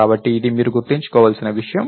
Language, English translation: Telugu, So, this is something that you have to keep in mind